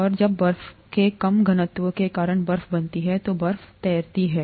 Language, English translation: Hindi, And when ice forms because of the lower density of ice, ice floats